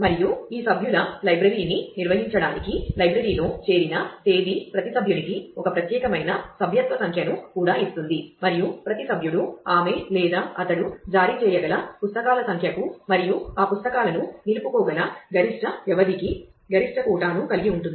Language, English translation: Telugu, And the date of joining the library to manage these members library also issues a unique membership number to every member and every member has a maximum quota for the number of books that she or he can issue and the maximum duration for which those books can be retain once issued